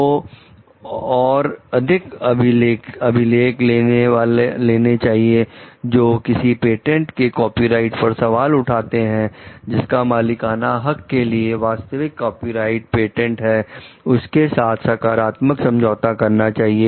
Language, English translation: Hindi, So, more other records which may like bring to a question of copyrights of patents, should enter into a positive agreement with the original copyright holder, original patent holder regarding ownership